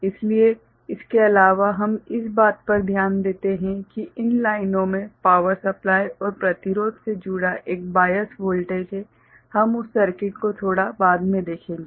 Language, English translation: Hindi, So, other than that we take note of that these lines have a bias voltage connected to a power supply and resistance, we shall see that circuit little later